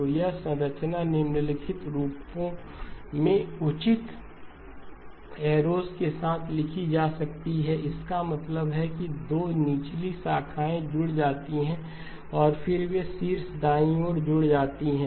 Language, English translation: Hindi, So this structure could be written in the following form with the proper arrows, that means the 2 lower branches get added and then they add to the top right